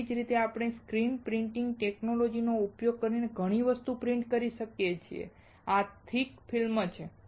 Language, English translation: Gujarati, Similarly, we kind of print lot of things using the screen printing technology and this is thick film